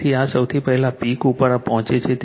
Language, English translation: Gujarati, So, I is reaching the peak first right